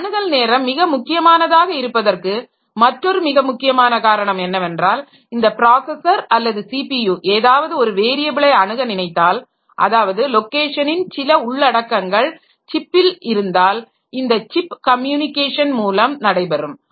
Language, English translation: Tamil, Another very important reason that why this access time is becoming important is that when this processor or the CPU is accessing some variable some content of the locations which are inside the CPU, then it is doing on chip communication